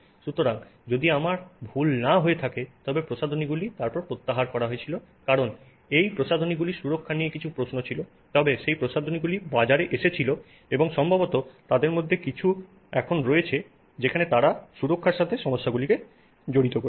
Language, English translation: Bengali, So, if I am not mistaken, some of these cosmetics were then withdrawn because there were some questions on the safety of those cosmetics but those cosmetics did come to the market and possibly some of them are there where they have addressed the safety issues involved